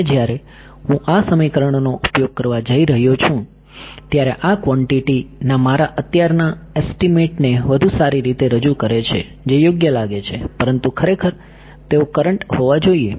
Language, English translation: Gujarati, Now when I am going to use these equations, these had better represent my current estimate of these quantities sounds obvious, but of course, I they should be current